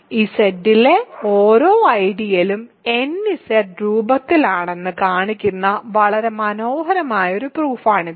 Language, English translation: Malayalam, This is a very beautiful augment which shows that every ideal in Z is of the form nZ